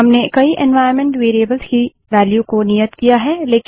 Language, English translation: Hindi, We have assigned values to many of the environment variables